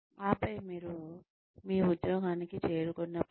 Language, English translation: Telugu, And then, when you reach your job